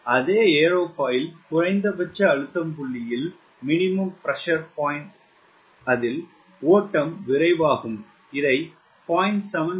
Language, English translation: Tamil, so on the same aerofoil, at a minimum pressure point, the flow will accelerate at minimum pressure point